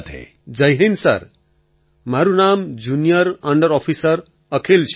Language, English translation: Gujarati, Jai Hind Sir, this is Junior under Officer Akhil